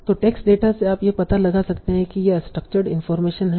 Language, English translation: Hindi, So from this huge amount of text data, can you find out this structured information